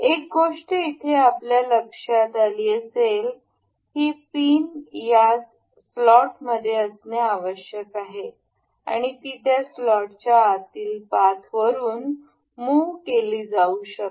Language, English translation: Marathi, You can see here the the this pin is supposed to be within this slot that can be moved within this slotted the slot path